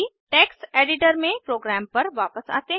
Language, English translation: Hindi, Lets go back to the program in the text editor